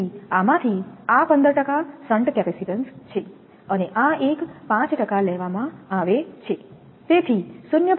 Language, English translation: Gujarati, So, this is 15 percent of this one this shunt capacitance, and this one is taken 5 percent, so 0